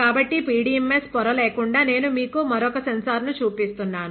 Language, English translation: Telugu, So, without the PDMS membrane, I am showing you another sensor, ok